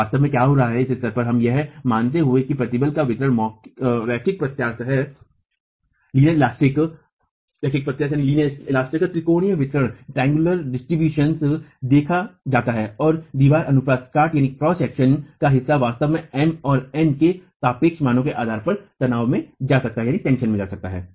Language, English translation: Hindi, So, what is actually happening is under, if we are, at this stage we are assuming that the distribution of stresses is linear elastic, triangular distribution is seen and part of the wall cross section can actually go into tension depending on the relative values of M and N